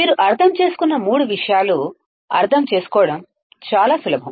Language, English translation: Telugu, All three things you understand very easy to understand